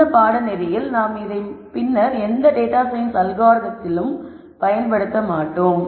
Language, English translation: Tamil, Now for this course we might not be using this later in any data science algorithm